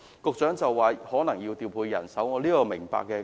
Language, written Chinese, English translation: Cantonese, 局長說可能要調配人手，我是明白的。, The Secretary said that this would involve redeployment of staff and I understand his point